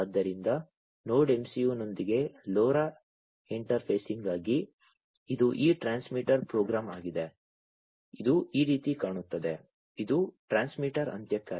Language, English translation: Kannada, So, for LoRa interfacing with Node MCU, this is this transmitter program, this is how it is going to look, like this is for the transmitter end